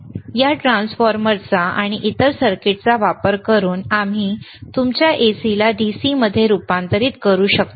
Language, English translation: Marathi, And using this transformer and the another circuit, we can convert your AC to DC